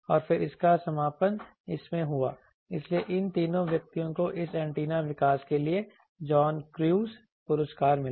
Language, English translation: Hindi, And then that culminated in this, so that is why in these three persons they got the John crews award for antenna this antenna development